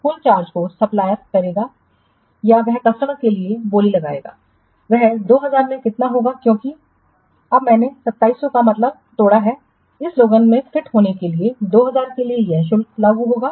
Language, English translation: Hindi, The total charge that is supplier will make or he will quote for the customer will be how much, 2,000 into, because now I have broken 2,700 means in order to fit in this lab, for 2,000 this charge will be applicable